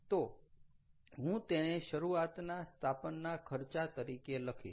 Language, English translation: Gujarati, so i would write it as the initial installation cost